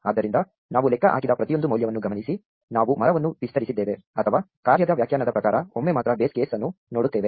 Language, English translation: Kannada, Notice therefore, that every value we computed, we expanded the tree or even looked up the base case only once according to the function definition